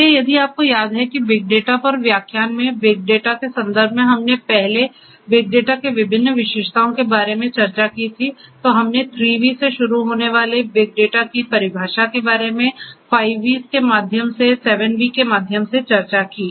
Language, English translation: Hindi, So, if you recall that in the context of big data in the lecture on big data we earlier discussed about the different characteristics of big data, we talked about the definitions of big data starting from 3 V’s, through 5 V’s, through 7 V’s and so on